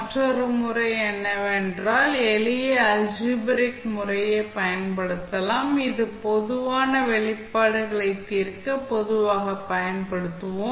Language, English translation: Tamil, Another method is that you can use simple algebraic method, which you generally use for solving the general expressions